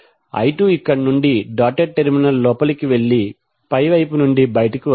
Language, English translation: Telugu, I 2 will go inside the dotted terminal from here and come out from the upper side